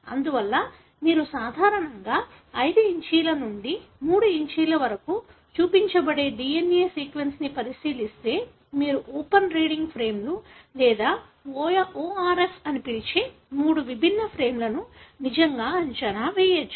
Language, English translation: Telugu, Therefore, if you look into a DNA sequence, which is normally shown 5’ to 3’, you can really predict three different frames what you call as open reading frames or ORF